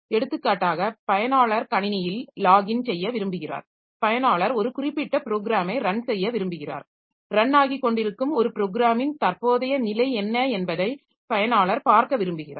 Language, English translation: Tamil, So, for example, user wants to log into the system, user wants to run a particular program, user wants to see what is the current status of a program that is running